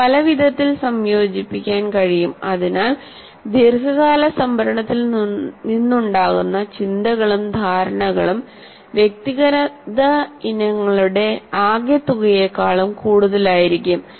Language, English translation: Malayalam, And so the thoughts and understanding that arise from long term storage are greater than the sum of individual items